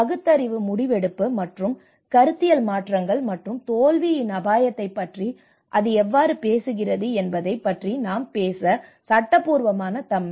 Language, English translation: Tamil, And legitimation that is where we talk about rationalisation, decision faking, and ideological shifts you know this is where, so that is how it talks about the risk of failure as well